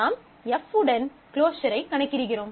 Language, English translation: Tamil, So, you compute the closure with respect to F